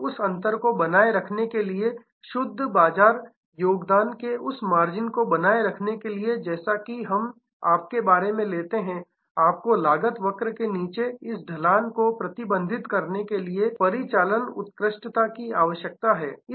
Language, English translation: Hindi, And to maintain that difference to maintain that margin of the net market contribution as we take about you need to have operational excellence to manage this downward slope of the cost curve